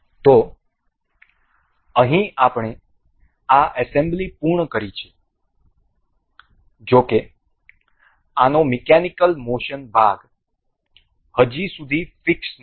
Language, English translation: Gujarati, So, here we have finished this assembly so; however, the mechanical motion part of these is not yet fixed